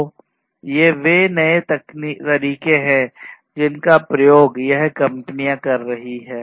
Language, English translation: Hindi, So, these are newer ways in which these companies are working